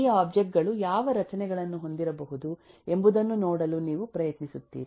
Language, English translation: Kannada, you try to see what structures these objects may have